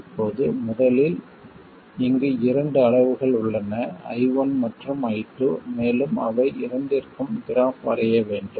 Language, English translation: Tamil, Now first of all we have two quantities here I and I2, and we have to draw graphs for both of them